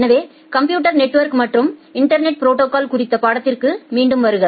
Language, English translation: Tamil, So welcome back to the course on Computer Network and Internet Protocols